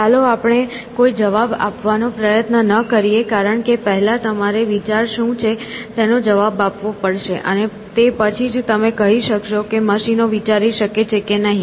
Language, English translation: Gujarati, Let us not try an answer because first you have to answer what is thinking and only then you can say whether machines can think essentially or not essentially